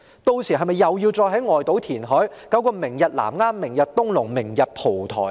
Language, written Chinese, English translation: Cantonese, 屆時，是否又要在外島填海，搞個"明日南丫"、"明日東龍"、"明日蒲台"呢？, If that is the case does it mean that the Government will have to carry out reclamation around the outlying islands such as Lamma Tomorrow Tung Lung Tomorrow and Po Toi Tomorrow and so on?